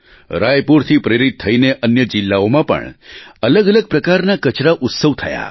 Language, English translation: Gujarati, Raipur inspired various types of such garbage or trash festivals in other districts too